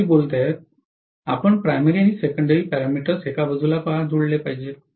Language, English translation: Marathi, Why should we combine primary and secondary parameters to one side